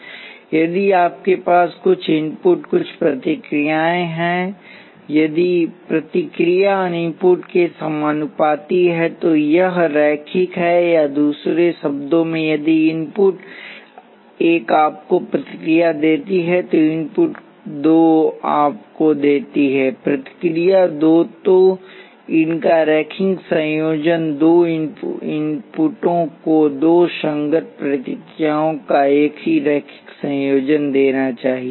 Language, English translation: Hindi, If you have certain excitation certain responses, if the response is proportional to the excitation it is linear or in other words if excitation one gives you response one, excitation two gives you, response two then linear combination of these two excitation should give the same linear combination of the two corresponding responses